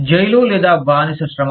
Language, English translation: Telugu, Prison or slave labor